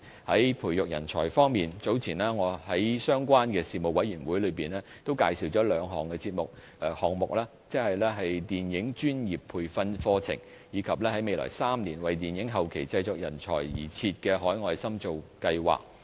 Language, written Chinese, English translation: Cantonese, 在培育人才方面，早前我在相關的事務委員會中，也介紹了兩個項目，即電影專業培訓課程，以及在未來3年，為電影後期製作人才而設的海外深造計劃。, Regarding fostering talents in a relevant panel meeting earlier I introduced two projects one of which is a professional training programme for the film industry and the other is an overseas training scheme for film practitioners in the post - production sector with the latter to be launched in the coming three years